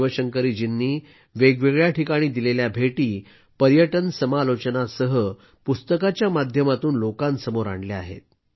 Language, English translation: Marathi, Shiv Shankari Ji travelled to different places and published the accounts along with travel commentaries